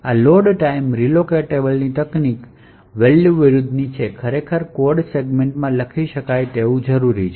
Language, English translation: Gujarati, This is quite unlike the Load time relocatable technique value actually required the code segment to be writable